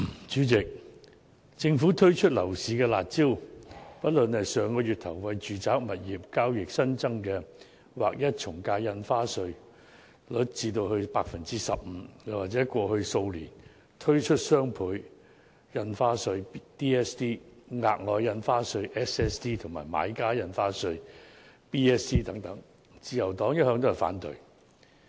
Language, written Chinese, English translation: Cantonese, 主席，政府推出樓市"辣招"，不論是上月初調高住宅物業交易的從價印花稅稅率至劃一的 15%， 或是在過去數年推出的雙倍從價印花稅、額外印花稅和買家印花稅等，自由黨一向都是反對的。, President the Liberal Party has all along opposed the curb measures introduced by the Government be it an increase of the ad valorem stamp duty AVD to a flat rate of 15 % on all residential properties introduced early last month or the introduction of the doubled AVD enhanced Special Stamp Duty and Buyers Stamp Duty over the past few years